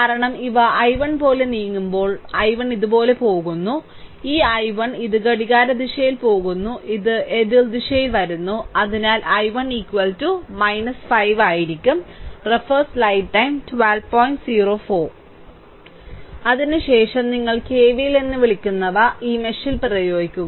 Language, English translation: Malayalam, Because when they move i 1 like these i 1 is going like this, this i 1 this going like these clockwise and this is coming out, so just opposite direction, so i 1 is equal to minus 5 the nothing else that is all